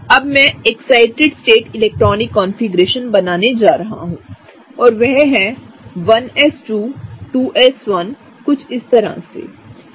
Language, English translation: Hindi, Now, I will draw the excited state electronic configuration and that is 1s2, 2s1 right, something like this, okay